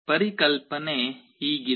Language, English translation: Kannada, The idea is like this